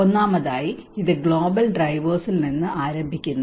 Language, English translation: Malayalam, First of all, it starts from the global drivers